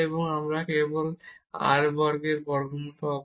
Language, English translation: Bengali, So, we will get this term without square root